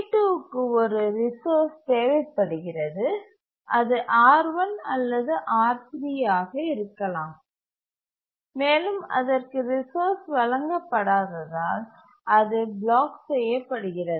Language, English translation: Tamil, Now let's assume that T2 requires a resource, maybe R1 or maybe R3, and then it won't be granted resource, it will block